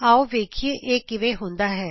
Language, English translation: Punjabi, Lets see how it is done